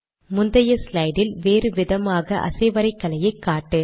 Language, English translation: Tamil, Show different animations in the previous slide